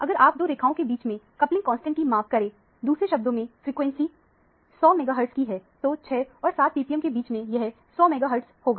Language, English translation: Hindi, If you measure the coupling constant between these two lines; in other words, the frequency is 100 megahertz; so, between 6 and 7 ppm, it is 100 hertz